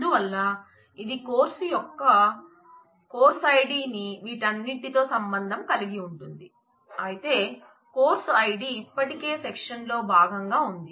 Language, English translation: Telugu, So, what will it relate it will relate the course id of the course with all of these, but the course id is already there as a part of the section right